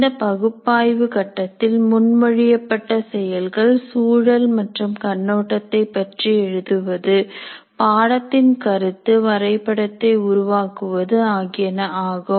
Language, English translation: Tamil, The proposed activities of the analysis phase include writing the course context and overview and preparing the concept map of the course